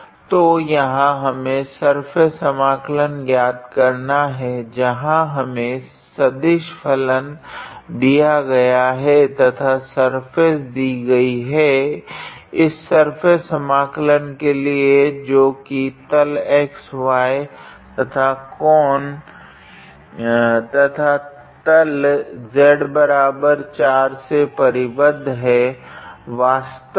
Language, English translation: Hindi, So, here we have to evaluate the surface integral where we have the given vector function and the given surface basically for this surface integral is actually the region above xy plane bounded by this cone and the plane z is equals to 4 actually